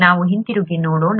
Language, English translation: Kannada, Let us get back